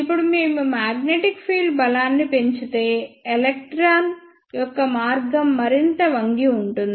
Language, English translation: Telugu, Now, if we increase the magnetic field strength, then the path of electron will be bent more